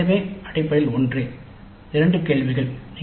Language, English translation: Tamil, Both are same essentially both questions